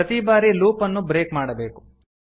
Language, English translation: Kannada, We need to break the loop each time